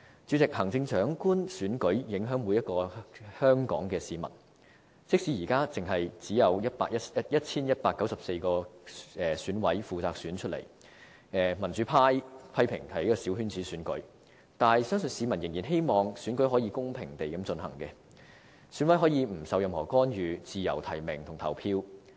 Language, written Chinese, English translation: Cantonese, 主席，行政長官選舉影響每一名香港市民，即使現在只由 1,194 名選舉委員會委員負責選出，民主派批評是小圈子選舉，但相信市民仍然希望選舉可以公平地進行，選委可以不受任何干預，自由提名和投票。, President the Chief Executive election affects everyone in Hong Kong . Even though at present the Chief Executive will be elected by 1 194 members of the Election Committee EC and pro - democracy Members criticize the election as a coterie election I believe members of the public still hope that the election can be conducted equitably and EC members can nominate and vote without being interfered in any way